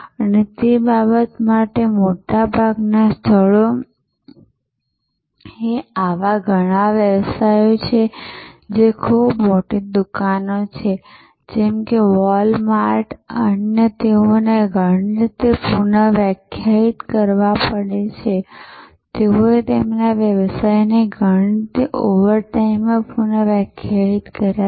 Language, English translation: Gujarati, And for that matter in most places, many such businesses which are very large stores, like wall mart and others they have to redefine in many ways, they have redefine their business in many ways overtime